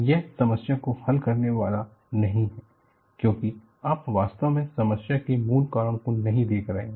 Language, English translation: Hindi, So, this is not going to solve the problem, because you are not really looking at the root cause of the problem